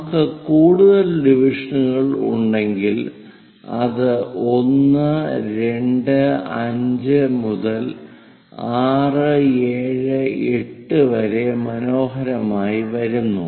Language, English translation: Malayalam, So, if we have many more divisions it comes nicely 1, 2, 5 all the way to 6, 7, 8